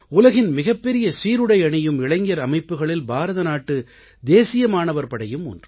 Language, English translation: Tamil, All of us know that India's National Cadet Corps, NCC is one of the largest uniformed youth organizations of the world